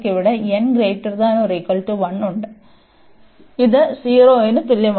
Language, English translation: Malayalam, So, this is greater than equal to 0